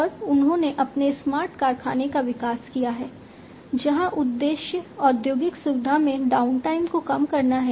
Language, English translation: Hindi, And they have developed their smart factory, where the objective is to minimize the downtime in the industrial facility